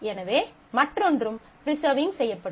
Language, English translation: Tamil, So, the other one will also be preserved